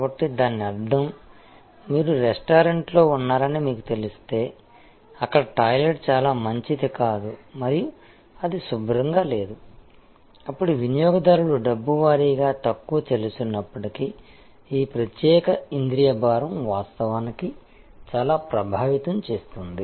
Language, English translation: Telugu, So; that means, if you know you are in a restaurant, where there is the toilet is not very good and this is not clean, then that this particular a sensory burden can actually affect a lot, even though the money wise the customer may be paying less and so on